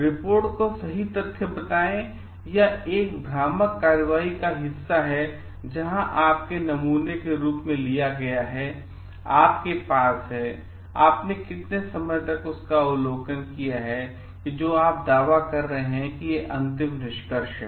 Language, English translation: Hindi, Is it to find out the report a true fact or it is a part of a deceptive action, where is whom have you taken as your sample, for how much long period you have make that observation to come to a conclusion that you are claiming